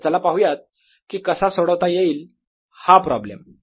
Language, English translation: Marathi, so let us see how do we solve this problem